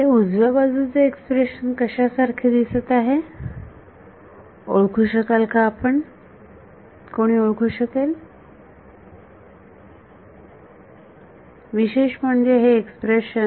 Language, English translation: Marathi, Does anyone recognize what this expression on the right looks like particularly this expression